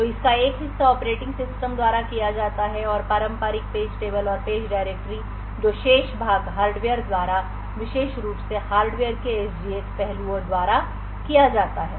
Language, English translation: Hindi, So, part of this is done by the operating system and the traditional page tables and page directories which are present the remaining part is done by the hardware especially the SGX aspects of the hardware